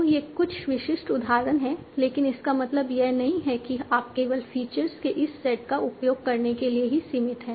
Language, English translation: Hindi, So there are some typical examples but it doesn't mean that you are limited only to using this set of features